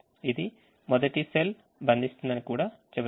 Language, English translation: Telugu, it also says the first cell is binding